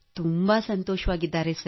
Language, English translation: Kannada, Very very happy sir